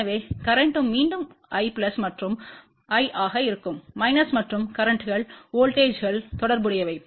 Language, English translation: Tamil, So, current will be again I plus and I minus and the currents are related to the voltages